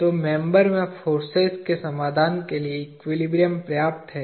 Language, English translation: Hindi, So, equilibrium is enough to solve for forces in the member